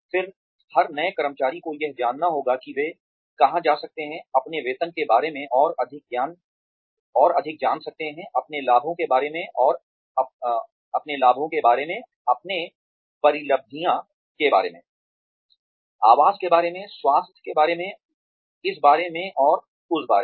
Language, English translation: Hindi, Then, every new employee needs to know, where they can go to, find out more about their salary, about their benefits, about their emoluments, about accommodation, about health, about this and that